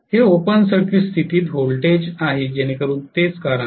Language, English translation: Marathi, This is voltage under open circuit condition so that is the reason